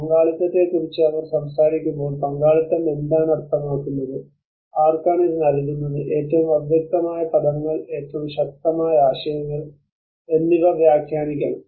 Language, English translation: Malayalam, When they talk about participation, one has to interpret exactly what participation means and to whom it renders and the most ambiguous terms and the most powerful of concepts